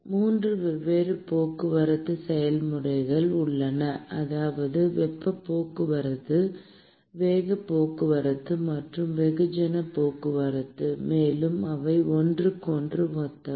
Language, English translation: Tamil, There are 3 different transport processes, that is, heat transport, momentum transport and mass transport; and they are analogous to each other